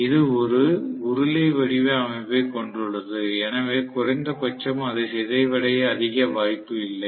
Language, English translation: Tamil, So, this is having a cylindrical structure, at least and it will not have much of opportunity to get deformed